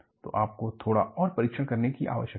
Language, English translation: Hindi, So, you need to go for little more tests